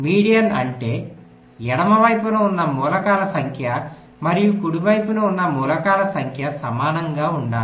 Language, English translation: Telugu, median means the number of elements to the left and the number of elements to the right must be equal